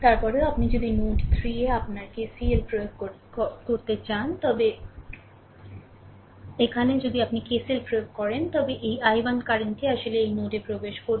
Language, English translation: Bengali, Then here if you to apply your KCL at node 3, here, if you apply KCL, then this i 1 current actually entering into this node right